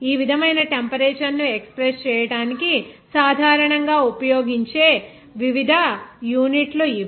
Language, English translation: Telugu, These are the different units that are generally be used to express the temperature like this